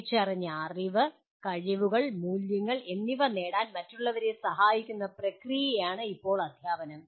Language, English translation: Malayalam, Now teaching is a process of helping others to acquire whatever identified knowledge, skills and values